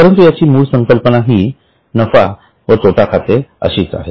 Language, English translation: Marathi, But the basic concept is that of profit and loss account